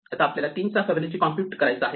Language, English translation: Marathi, So, we can compute Fibonacci of 3